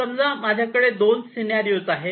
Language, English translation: Marathi, here let me give two different scenarios